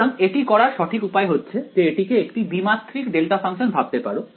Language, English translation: Bengali, So, the correct way to do it would be just think of this as a two dimensional delta function right